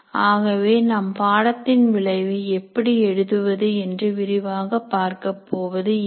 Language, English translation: Tamil, So we are not going to elaborate at this point of time how to write course outcomes